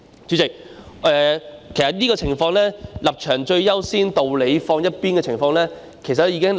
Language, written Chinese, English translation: Cantonese, 主席，其實這種"立場最優先，道理放一邊"的情況早已出現在立法會。, President in fact such a situation of stances taking precedence over reasons has long since emerged in the Legislative Council